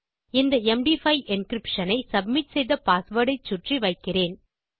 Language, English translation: Tamil, I will add this MD5 encryption around my submitted password and repeat password